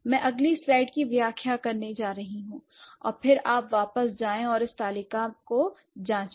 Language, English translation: Hindi, We'll go, I'm going to explain the next slide and then you go back and check it in the, in the table